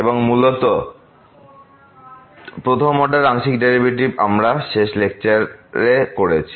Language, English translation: Bengali, So, basically the first order partial derivatives we have done in the last lecture